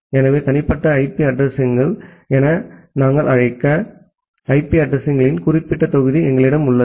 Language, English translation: Tamil, So, we have certain block of IP addresses which we call as the private IP addresses